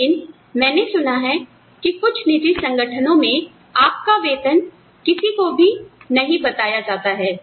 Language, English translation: Hindi, But, I have heard, in certain private organizations, your salaries are not disclosed to anyone